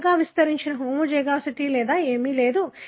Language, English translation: Telugu, There is no large extended homozygosity or any thing